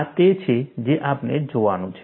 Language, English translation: Gujarati, That is what we are going to use